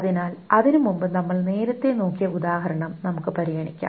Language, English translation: Malayalam, So before that, let us consider the example that we were looking at earlier